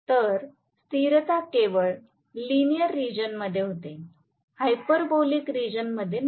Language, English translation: Marathi, So, the stability happens only in the linear region, not in the hyperbolic region